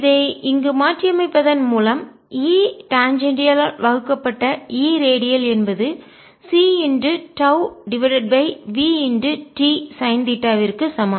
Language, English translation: Tamil, substituting this here, i get e redial divided by e tangential is equal to c tau over v t sin theta, which give me e tangential is equal to e radial v t sin theta divided by c tau